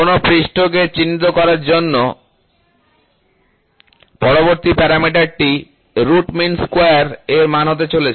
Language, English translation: Bengali, The next parameter to characterize a surface is going to be Root Mean Square Value